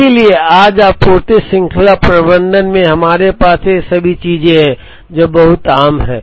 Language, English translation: Hindi, So, today in supply chain management, we have all these things, which are very common